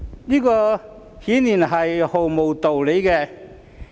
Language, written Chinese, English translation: Cantonese, 這顯然是毫無道理的。, It is obviously beyond any reason